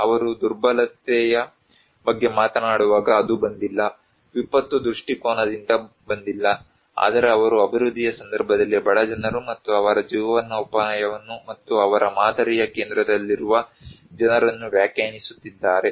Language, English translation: Kannada, When they are talking about vulnerability, it did not came from, did not come from the disaster perspective, but they are talking defining poor people and their livelihood in case of development and people at the center of their model